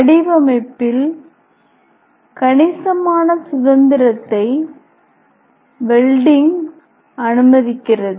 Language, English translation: Tamil, Then welding permit considerable freedom in design